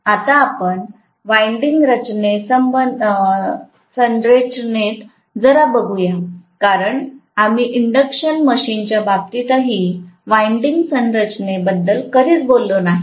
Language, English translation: Marathi, Now, let us go a little bit into, you know the winding structure because we never talked about winding structure in the case of induction machine as well